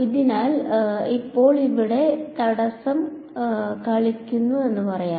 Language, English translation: Malayalam, So, now, let us say I play obstacle over here ok